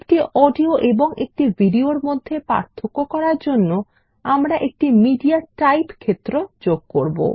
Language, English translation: Bengali, In order to distinguish between an audio and a video, we will introduce a MediaType field